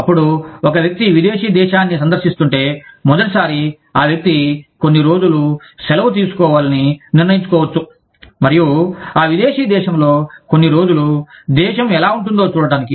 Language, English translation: Telugu, Then, if a person is visiting a foreign country, for the first time, the person may decide to take leave for a few days, and stay in that foreign country, for a few days, just to see, what the country is like